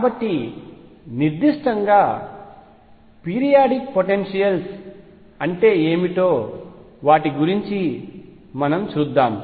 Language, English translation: Telugu, So, let us see what is, so specific about periodic potentials